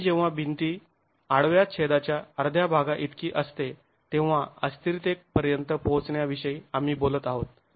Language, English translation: Marathi, We are talking about instability being reached when the wall, when the deflection is of the order of one half of the cross section